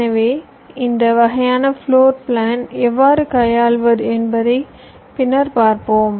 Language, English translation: Tamil, so we shall see later that how to handle this kind of floorplan, right